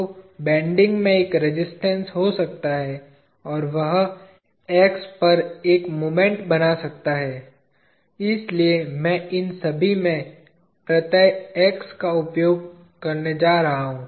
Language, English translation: Hindi, So, there could be a resistance in bending, and that could form a moment all at X, so I am going to use a suffix X in all these